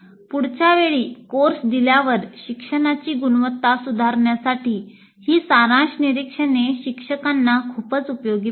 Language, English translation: Marathi, These summary observations will be very valuable to the instructor in improving the quality of instruction next time the course is offered